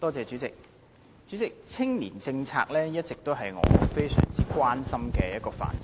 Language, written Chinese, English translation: Cantonese, 主席，青年政策一直都是我非常關心的範疇。, President the youth policy has all along been an area of great concern to me